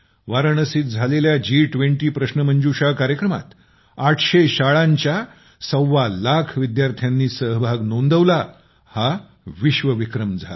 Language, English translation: Marathi, 25 lakh students from 800 schools in the G20 Quiz held in Varanasi became a new world record